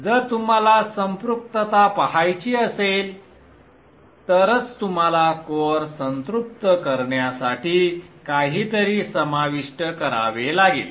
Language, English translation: Marathi, Only if you want to look at saturation and you will have to include something to make the core saturate